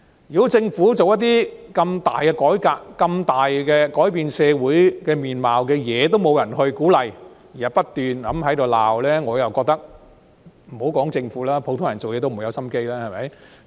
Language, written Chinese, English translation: Cantonese, 如果政府推行如此重大的改革、推行重大改變社會面貌的工作，也得不到鼓勵，只有不斷的批評，我認為莫說是政府，即使是普通人也提不起勁工作。, If the Government receives no encouragement and hears nothing but constant criticisms even for carrying out such a major reform and advancing efforts that will bring great changes to the social landscape I think that even ordinary people let alone the Government will lack motivation to work